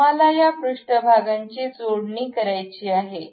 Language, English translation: Marathi, Now, we want to really mate these surfaces